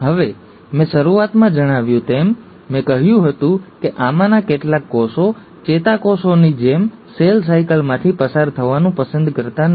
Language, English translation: Gujarati, Now, as I mentioned in the beginning, I said some of these cells do not choose to undergo cell cycle like the neurons